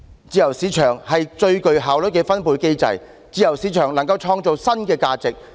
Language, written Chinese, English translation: Cantonese, 自由市場是最具效率的分配機制，自由市場能夠創造新的價值。, A free market is the most efficient distribution mechanism capable of creating value